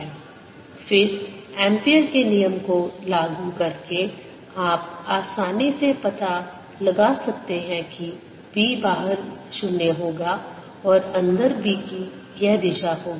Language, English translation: Hindi, then by applying ampere's law you can easily figure out that b outside will be zero and b inside is going to be